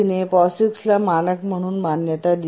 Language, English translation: Marathi, They recognize POGICs as a standard